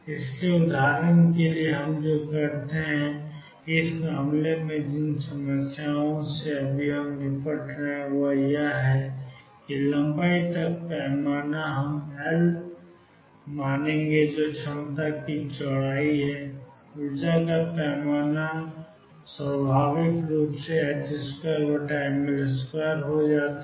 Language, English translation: Hindi, So, what we do for example, in this case in the case of the problems that we are dealing with right now is that length scale we will take to be L that is the width of the potential and the energy scale naturally becomes h cross square over ml square